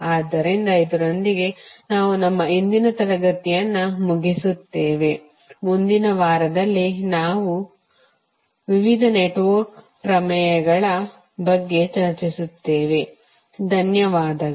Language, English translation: Kannada, So, with this we will close today’s session, in next week we will discuss about the various network theorems, thank you